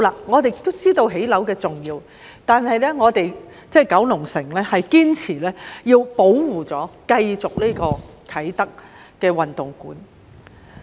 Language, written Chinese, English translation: Cantonese, 我們也明白興建樓宇的重要性，但我們九龍城區堅持要保護和繼續興建啟德體育園。, We recognized the importance of constructing buildings but we the Kowloon City District insisted on defending and progressing with the construction of the Kai Tak Sports Park